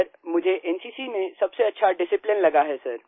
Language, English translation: Hindi, Sir, the best thing I like about the NCC is discipline